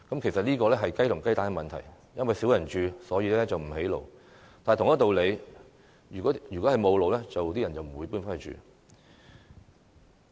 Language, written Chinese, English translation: Cantonese, 其實，這是雞與雞蛋的問題，因為少人居住便不興建道路，但同一道理，因為沒有道路，所以才少人回去居住。, In fact this is a chicken - and - egg problem . No roads are built for villages with few residents but by the same token few people return to live in the villages because there are no roads